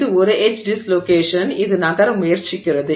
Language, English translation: Tamil, So, there is an edge dislocation, it is trying to move